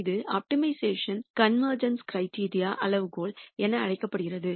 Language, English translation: Tamil, Which is what in optimization terminology called as convergence criteria